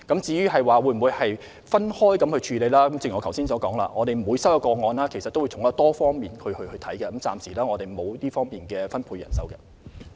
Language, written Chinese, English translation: Cantonese, 至於會否分開人手處理，正如我剛才所說，我們每收到一個個案，均會從多方面進行調查，現時沒有特別分開人手處理。, As to whether we will divide the staffing establishment into groups to handle cases involving different countries as I just said any cases reported to us will be investigated in several directions . Currently we do not separate the staffing establishment to handle individual cases